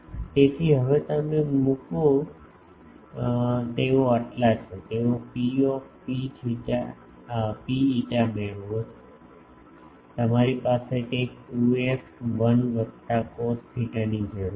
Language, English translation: Gujarati, So, now you put it they are so, get P rho phi ok, you need to have something 2 f 1 plus cos theta